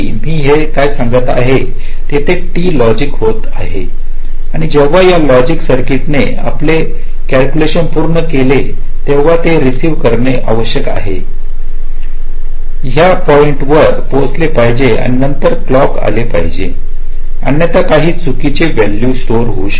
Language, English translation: Marathi, so what i am saying is that there is a delay of t logic and when this logic circuit has finish its calculation it must receive, reach this point and then only this clock should come, otherwise some wrong value might get stored